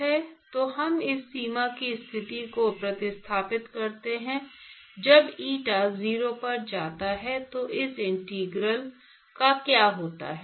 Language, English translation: Hindi, So, we substitute this boundary condition, what happens to this integral when eta goes to 0